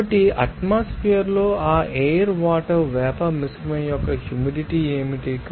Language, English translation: Telugu, So, what is that basically that humidity of that air water vapor mixture in the atmosphere